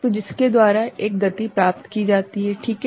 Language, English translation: Hindi, So, by which a speed up is achieved, right